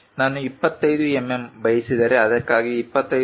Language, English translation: Kannada, If I want 25 mm for that anything above 25